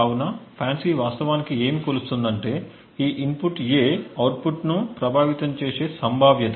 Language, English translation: Telugu, So, what FANCI actually measures, is the probability with which this input A affects the output